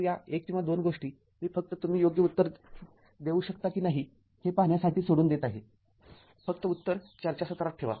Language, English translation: Marathi, So, this 1 or 2 things I am leaving up to you just to see whether whether you can answer correctly or not you just put the answer in the forum